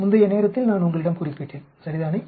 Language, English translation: Tamil, In the previous time, I mentioned to you right